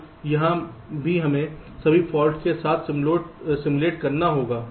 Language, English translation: Hindi, so here also we have to simulate with all the faults